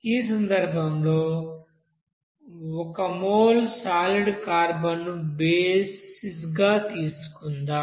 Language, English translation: Telugu, In this case, let us consider the basis as one mole of carbon solid